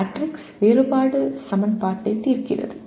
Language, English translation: Tamil, Solving matrix differential equation